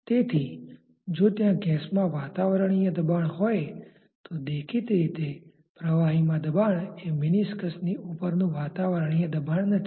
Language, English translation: Gujarati, So, if you have the pressure in the gas as a atmospheric pressure; obviously, the pressure in the liquid is not atmospheric pressure across the meniscus